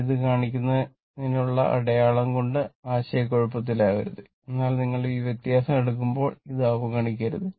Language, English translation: Malayalam, So, do not confuse with the sign this is to show this one right, but when you will take the difference of this do not ignore this one